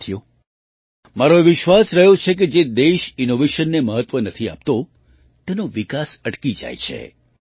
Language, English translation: Gujarati, Friends, I have always believed that the development of a country which does not give importance to innovation, stops